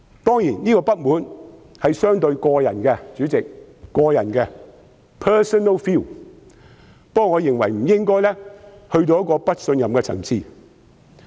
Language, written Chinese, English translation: Cantonese, 當然，這種不滿是相當個人的，代理主席，這是個人的 ，personal feeling ，但我認為尚未達到不信任的層次。, Certainly this discontent is somewhat personal . Deputy President this is personal personal feeling but I think it has not reached such a degree that I can no longer place my trust in the Chief Executive